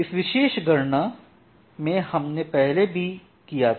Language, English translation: Hindi, So, that particular calculation we did earlier